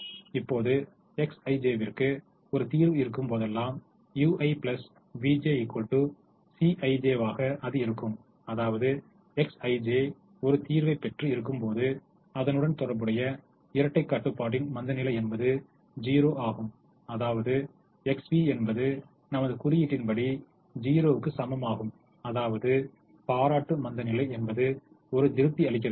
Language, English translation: Tamil, now we also know that whenever x i j is in the solution, u i plus v j is equal to c i j, which means when x i j is in the solution, then the corresponding dual constraint, the slack, is zero, which means x v is equal to zero in our notation, which also means complimentary slackness is satisfied